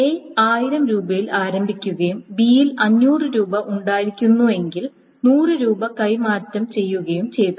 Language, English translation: Malayalam, So if, so suppose A started off with $1,000 and B had $500 and then $100 was transferred